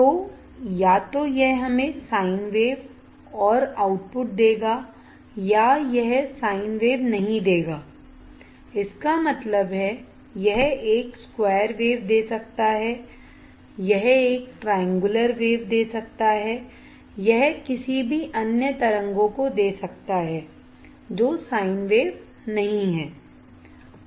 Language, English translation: Hindi, So, either it will give us the sin wave and the output, or it will not give a sin wave; that means, it can give a square wave it can give a triangular wave it can give any other waves which are not sin ways